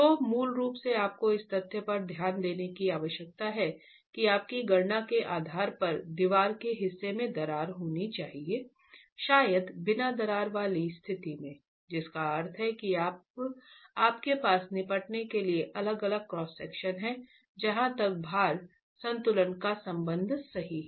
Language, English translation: Hindi, So basically you need to account for the fact that part of your wall based on your calculations should have cracked and past part of the wall may be in the uncracked condition, which means you have now different cross sections to deal with as far as load equilibrium is concerned